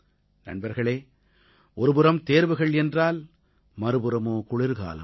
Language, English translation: Tamil, Friends, on the one hand, we are facing examinations; on the other, the winter season